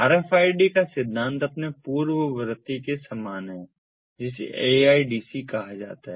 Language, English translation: Hindi, the working principle of rfid is similar to its predecessor, which is called the aidc